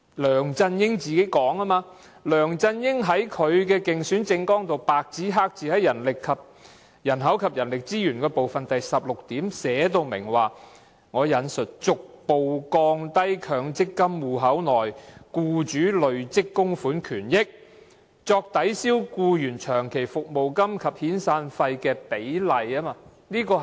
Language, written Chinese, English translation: Cantonese, 梁振英在他的競選政綱"人口及人力資源"部分第16點白紙黑字寫明，"逐步降低強積金戶口內僱主累積供款權益用作抵銷僱員長期服務金及遣散費的比例"。, LEUNG Chun - ying had written clearly in point 16 of the section My Pledge on Population and Human Resources in his election manifesto I quote We will adopt measures to progressively reduce the proportion of accrued benefits attributed to employers contribution in the MPF account that can be applied by the employer to offset long - service or severance payments